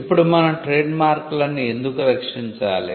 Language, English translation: Telugu, Now, why should we protect trademarks